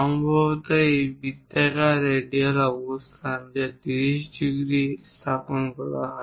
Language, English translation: Bengali, Perhaps this circle the radial location that is placed at 30 degrees